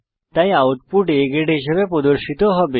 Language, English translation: Bengali, So the output will be displayed as A Grade